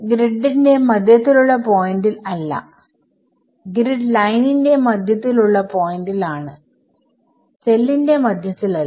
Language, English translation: Malayalam, E x and E y are not at the midpoint of the grid, but at the midpoint of the grid line not in the middle of the cell